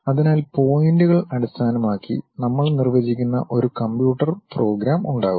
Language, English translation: Malayalam, So, there will be a computer program where we we will define based on the points